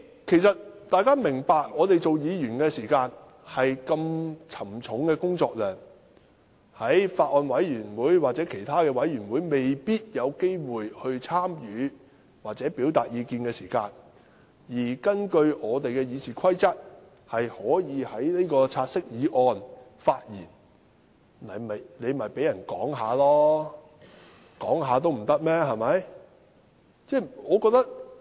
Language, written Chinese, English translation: Cantonese, 其實大家要明白，我們作為議員，工作量這麼沉重，在法案委員會或其他委員會未必有機會參與或表達意見時，可根據《議事規則》就"察悉議案"發言，那便讓議員發言吧，連發言也不准嗎？, In fact we have to understand that as Members our workload is so heavy . If we do not have a chance to participate or express opinions in Bills Committees or other committees we can speak on the take - note motion in accordance with RoP then let Members speak . Are they even not allowed to speak?